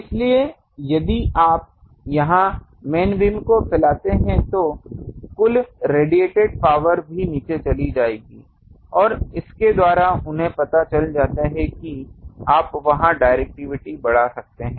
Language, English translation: Hindi, So, if you protrude main beam here, the total radiated power also will go down and by that they are known that you can increase the directivity there